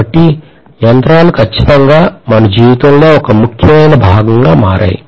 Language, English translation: Telugu, So machines have become definitely an essential part of our life